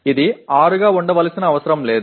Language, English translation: Telugu, It does not have to be 6